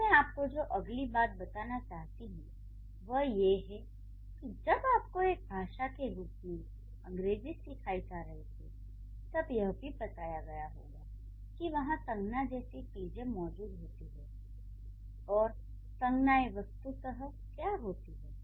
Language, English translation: Hindi, So, then the next thing I would tell you that when you are trying to understand or when you started learning English as a language, you must be taught that there are things like nouns and what are the nouns